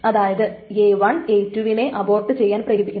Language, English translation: Malayalam, So that means A1 leads to aborting of A2 and then leads to aborting of A3